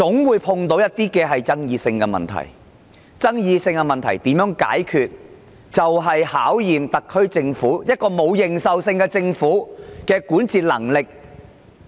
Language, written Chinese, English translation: Cantonese, 面對一些具爭議性的問題，如何解決問題便要考驗特區政府——這個沒有認受性的政府——的管治能力。, When facing with some controversial issues the governing capability of the SAR Government―the government with no public recognition―is put to test